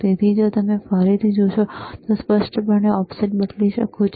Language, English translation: Gujarati, So, if you see again, the offset, you can you can clearly change the offset